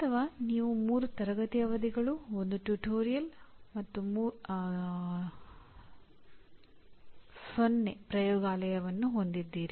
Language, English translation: Kannada, Or you may have 3 classroom sessions, 1 tutorial and no laboratory